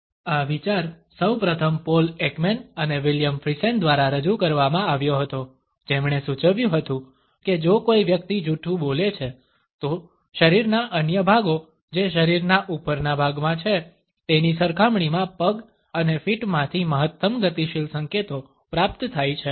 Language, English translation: Gujarati, This idea first of all was put forward by Paul Ekman and William Friesen who suggested that if a person is lying, then the maximum kinetic signals are received from the legs and feet; in comparison to other body parts which are in the upper portion of the body